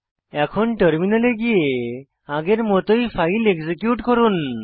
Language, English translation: Bengali, Now let us switch to the terminal and execute the file like before